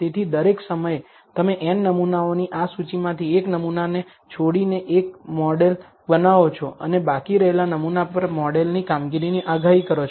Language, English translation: Gujarati, So, in every time, you build a model by leaving out one sample from this list of n samples and predict the performance of the model on the left out sample